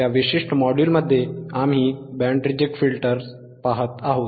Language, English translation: Marathi, In Tthis particular module, we are looking at the Band Reject Filters right